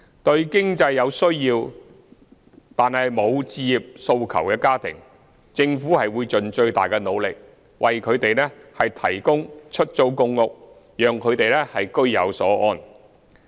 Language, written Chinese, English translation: Cantonese, 對有經濟需要、無置業訴求的家庭，政府會盡最大的努力，為他們提供公屋，讓他們居有所安。, For families with economic needs and without home ownership aspirations the Government will make the greatest effort to provide them with PRH so that they will live in contentment